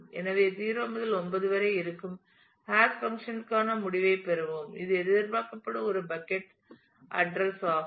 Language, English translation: Tamil, So, we will get a result for the hash function which is between 0 to 9 which, is a bucket address where it is expected